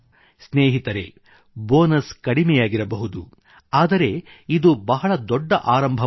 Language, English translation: Kannada, Friends, the bonus amount may be small but this initiative is big